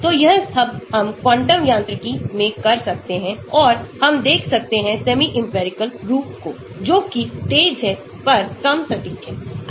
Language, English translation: Hindi, so all these can be done in quantum mechanics and we will look at the semi empirical which is faster but less accurate